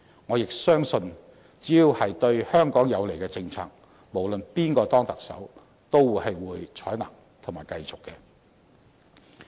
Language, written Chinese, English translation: Cantonese, 我亦相信，只要是對香港有利的政策，無論是誰當選特首都會採納及繼續推行。, I also trust that policies beneficial to Hong Kong will be adopted and continued to be implemented by whoever elected as the Chief Executive